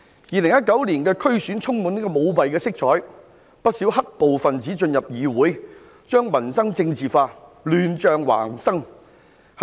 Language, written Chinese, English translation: Cantonese, 2019年的區議會選舉充滿舞弊色彩，不少"黑暴"分子進入議會，將民生政治化，以致亂象橫生。, The 2019 DC Election is full of hints of fraud many black - clad violence elements have entered DCs to politicize livelihood issues resulting in chaotic situations